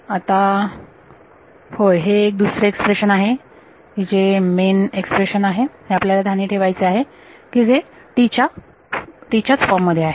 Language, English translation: Marathi, Now, yeah so here is the other this is the main expression that we have to keep in mind what is the form of T itself